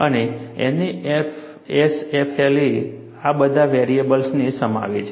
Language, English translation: Gujarati, And NASFLA encompasses all of these variables